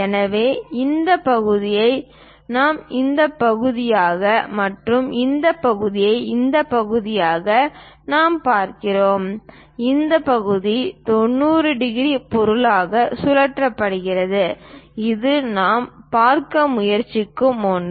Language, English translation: Tamil, So, that this part is this part and this part we are looking as this one and this part is that is rotated by 90 degrees object, that one what we are trying to look at